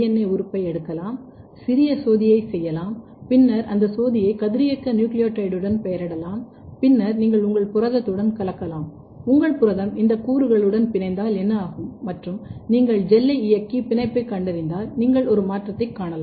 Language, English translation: Tamil, So, in this case what you can do, you can take a putative binding site DNA element you can make a small probe and then this probe can be labelled with radioactive nucleotide and then you mix with your protein and what happens that if your protein is binding with this elements and if you run the gel and detect the binding using any mutants you can you will you can see a shift